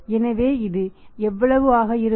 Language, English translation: Tamil, So, what will be this